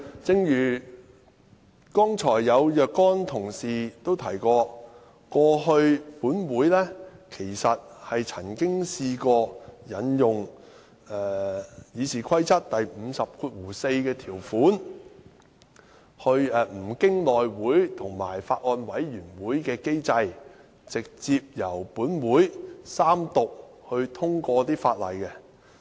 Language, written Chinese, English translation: Cantonese, 正如剛才有若干同事提及，立法會過去曾經引用《議事規則》第544條，不經內務委員會和法案委員會的機制，直接由立法會三讀通過法案。, As a number of Members have mentioned earlier in past terms of the Legislative Council RoP 544 was invoked so that a Bill was read the Third time and passed direct without engaging the mechanism of the House Committee and the Bills Committee